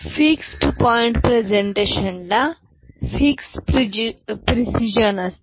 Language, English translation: Marathi, And, fixed point representation has fixed precision